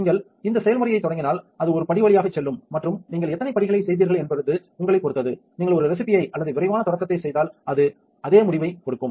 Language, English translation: Tamil, If you start this process it will go through step one through and how many steps you have made, it is up to you if you do a recipe or a quick start it gives you the same results